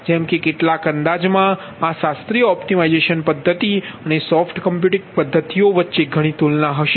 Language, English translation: Gujarati, there are many comparisons will be there between this classical optimization method and soft computing, ah methods